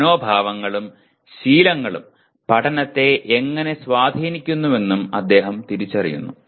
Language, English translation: Malayalam, He also recognizes how attitudes and habits influence learning